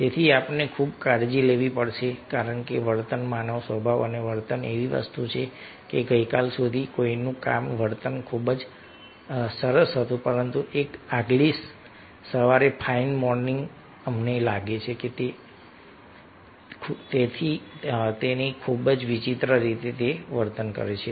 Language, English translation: Gujarati, so we have to very careful because behavior, human nature and behavior is such a thing that, ah, till yesterday somebodys behavior is very nice, but one fine morning, next, next morning, we find that he or she is behavior in very, very strange manner and we are not able to understand what happened